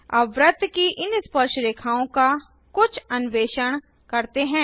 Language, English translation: Hindi, lets explore some of the properties of these Tangents to the circle